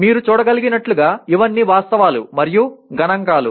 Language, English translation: Telugu, As you can see these are all facts and figures